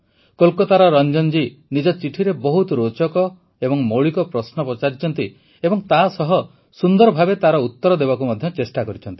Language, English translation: Odia, Ranjan ji from Kolkata, in his letter, has raised a very interesting and fundamental question and along with that, has tried to answer it in the best way